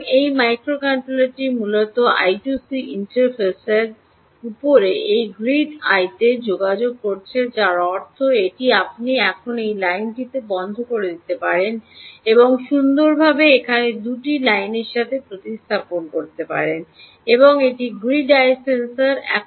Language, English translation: Bengali, ok, so this microcontroller is essentially communicating to this grid eye over i two c interface, which means this: you can now rub off this line and nicely replace it with two lines here: ah, um, and this is the grid eye sensor